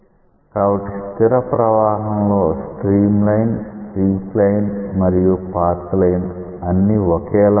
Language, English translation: Telugu, but because it is a steady flow stream line, streak line, path line these are all identical